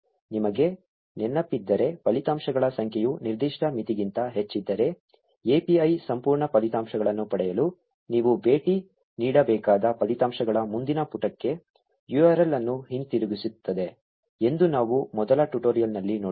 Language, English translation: Kannada, If you remember, we saw in the first tutorial that if the number of results are greater than a certain limit, the API is also returns a URL to the next page of the results which you need to visit in order to get the complete results